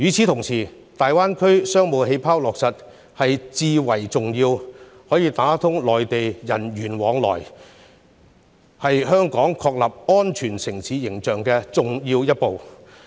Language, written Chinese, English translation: Cantonese, 同時，落實"大灣區商務氣泡"，有助打通與內地人員往來，是香港確立安全城市形象的重要一步。, At the same time introducing the Greater Bay Area Business Bubbles will help to resume people flow with the Mainland which is an important step for Hong Kong to establish its image as a safe city